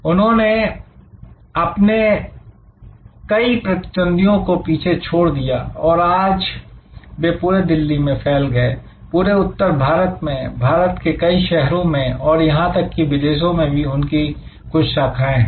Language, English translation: Hindi, They were able to take over many of their large competitors and today they are spread all over Delhi, all over North India, many other cities of India and even they have branches abroad